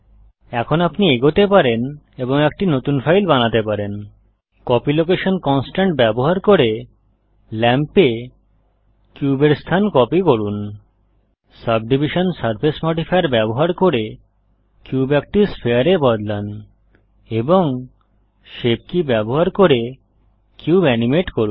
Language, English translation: Bengali, Now you can go ahead and create a new file using Copy Location Constraint, copy the location of the cube to the lamp using the Subdivision Surface modifier, change the cube into a sphere and animate the cube using shape keys